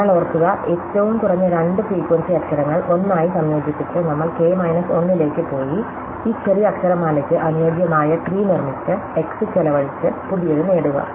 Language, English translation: Malayalam, So, recall that, we went to k minus 1 by combining the two lowest frequency letters as 1, constructing an optimal tree for the smaller alphabet and then expanding the x, y to get a new